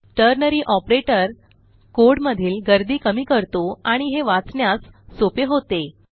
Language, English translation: Marathi, This way, ternary operator reduces clutter in the code and improves readability